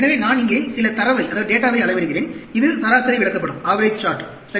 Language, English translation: Tamil, So, I am measuring some data here; this is an average chart, right